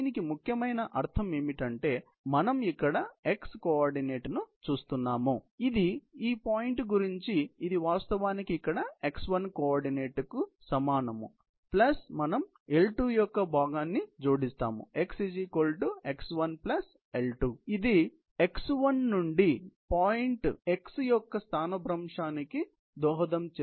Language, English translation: Telugu, What it essential means is that we are looking at coordinate x here, which is right about this point, which is actually equal to x1 coordinate here, plus we add the component of L2, which would contribute to displacement of the point x from x 1, which is L2 cosθ